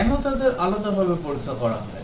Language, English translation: Bengali, Why test them separately